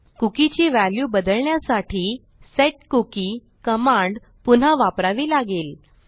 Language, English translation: Marathi, To change the value of a cookie, youll have to use setcookie command again